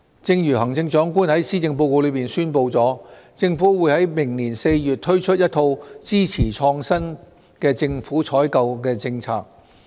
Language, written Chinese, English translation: Cantonese, 正如行政長官在施政報告中宣布，政府會於明年4月推出一套支持創新的政府採購政策。, As announced by the Chief Executive in the Policy Address the Government will introduce a pro - innovation government procurement policy in April next year